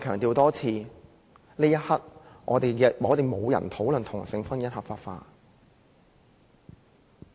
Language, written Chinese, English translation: Cantonese, 我再一次強調，此刻沒有人要討論同性婚姻合法化。, Once again I stress that no one is intending to discuss the legalization of same - sex marriage